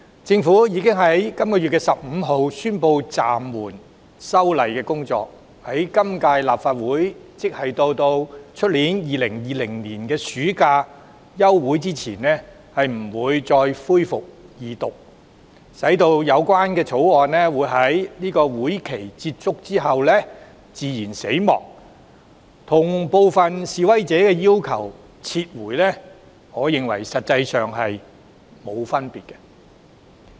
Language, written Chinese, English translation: Cantonese, 政府已於本月15日宣布暫緩修例的工作，在今屆立法會任期內，即直到2020年暑假休會前不會再恢復二讀辯論，意味相關條例草案在任期結束後"自然死亡"，我認為這與部分示威者的訴求——撤回該條例草案——實際上並無分別。, The Government announced the suspension of the amendment exercise on 15 this month precluding the possibility of a resumption of the Second Reading debate of the relevant Bill in the current term of the Legislative Council which would end in the summer of 2020 . That means the relevant Bill will come to a natural death as the term of this Council expires . That in my opinion is practically the same as the demand―withdrawal of the Bill―put forward by some protesters